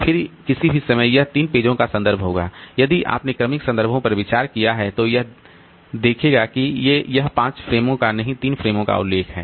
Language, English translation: Hindi, Then at any point of time it will be referring to about three pages in a if you consider successive references then it will see that it is it is referring to three frames, not the five frames